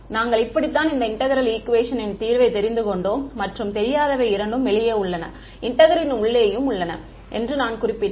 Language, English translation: Tamil, This is how we had solved this integral equation, as I mentioned the unknown is both outside and inside the integral